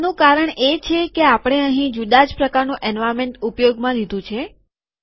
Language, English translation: Gujarati, That is because we have used a different kind of environment here